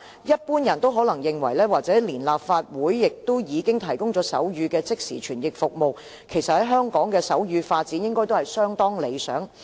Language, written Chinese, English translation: Cantonese, 一般人可能認為連立法會也提供手語即時傳譯服務，香港的手語發展應該相當理想。, There may be a general misconception that sign language development in Hong Kong is very mature because even the Legislative Council has provided simultaneous sign language interpretation service